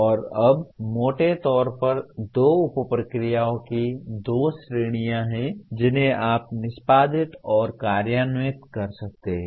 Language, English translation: Hindi, And now there are broadly two categories of two sub processes you can say execute and implement